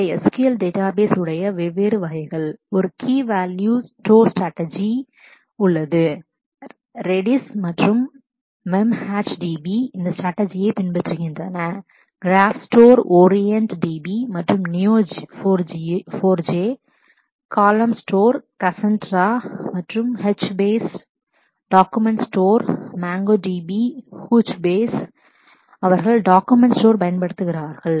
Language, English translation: Tamil, And these are the different types of no SQL databases, there is a key value store strategy Redis and MemcacheDB follow this strategy, graph store is used by orient DB and Neo4J; column store is used by Cassandra and HBase document store, MongoDB, Couchbase, they use document store